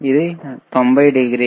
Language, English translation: Telugu, Ist isit 90 degree